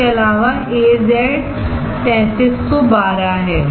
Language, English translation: Hindi, Also there is AZ 3312